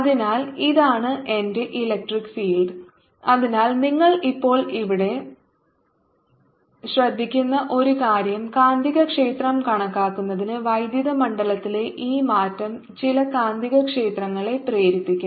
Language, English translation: Malayalam, so, ah, one thing: you now note here that for calculating magnetic field, this ah change in electric field will ah induce some magnetic field